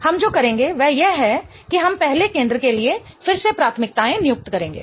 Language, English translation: Hindi, What we will do is we will assign again priorities for the first center